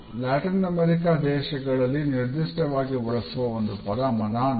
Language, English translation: Kannada, A particularly interesting word which is used in Latin American countries is Manana